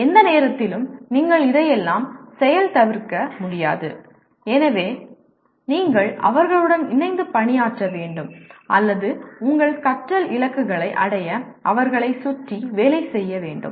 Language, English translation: Tamil, You cannot undo all this at any given point so you have to work with them or work around them to achieve your learning goals